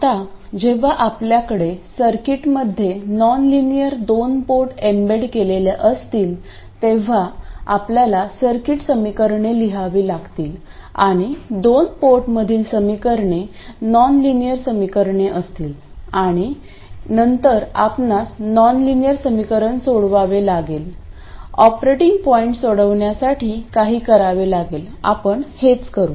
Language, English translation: Marathi, Now when you have a nonlinear 2 port embedded in a circuit you have to write the circuit equations and you will have nonlinear equations because of the nonlinear nature of the 2 port and then you have to solve the nonlinear equation numerically